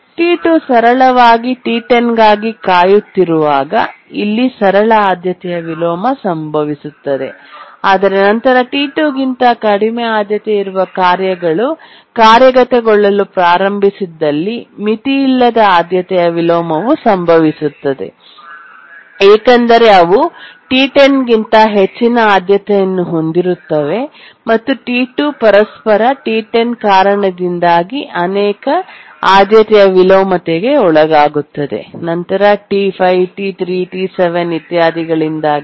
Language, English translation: Kannada, Here a simple priority inversion occurs when T2 is simply waiting for T10, but then the unbounded priority inversion occurs where tasks which are of lower priority than T2, they start executing because they are higher priority than T10 and T2 undergoes many priority inversion, one due to T10 initially, then later due to T5, T3, T7, etc